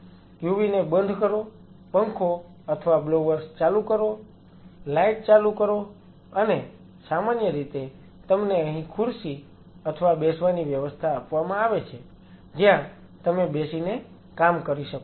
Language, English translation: Gujarati, Switch of the UV switch on the fan or the blowers switch on the light and generally you are provided here with the chair or a sitting arrangement where you can sit and do the work